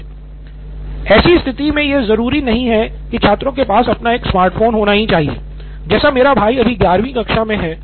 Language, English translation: Hindi, In a situation it is not necessary that students should have a smartphone, like my brother is in his 11th standard right now